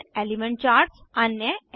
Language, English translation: Hindi, Different Element charts